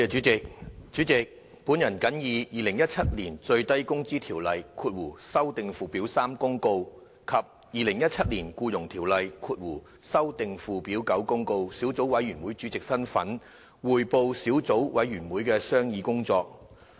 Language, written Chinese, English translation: Cantonese, 主席，本人謹以《2017年最低工資條例公告》及《2017年僱傭條例公告》小組委員會主席身份，匯報小組委員會的商議工作。, President in my capacity as Chairman of the Subcommittee on Minimum Wage Ordinance Notice 2017 and Employment Ordinance Notice 2017 I report on the deliberations of the Subcommittee